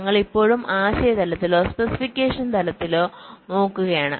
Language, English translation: Malayalam, we are still looking at the conceptual level or at the specification level